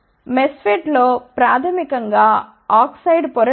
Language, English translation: Telugu, In MESFET basically oxide layer is not there